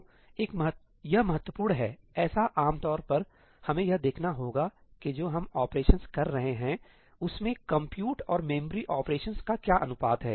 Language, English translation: Hindi, this is important; typically, we have to see that what is the compute to memory ratio of the operations we are doing